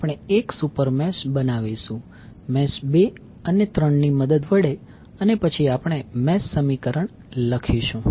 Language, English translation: Gujarati, So we will create one super mesh containing mesh 2 and 3 and then we will write the mesh equation